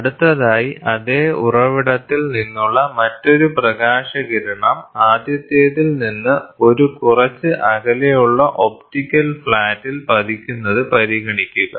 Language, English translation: Malayalam, Next consider an another light ray from the same source falls on the optical flat at a mall distance from the first one